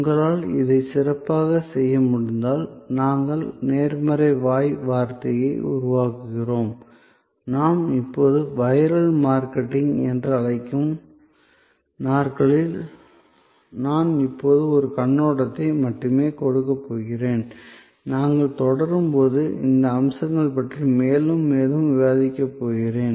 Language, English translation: Tamil, If you are able to do this well, then we create a buzz, the positive word of mouth, which we are now a days, we are calling viral marketing, I am going to give only an overview now, I am going to discuss these aspects more and more as we proceed